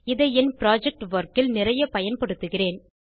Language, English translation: Tamil, I will be using this in a lot of my project work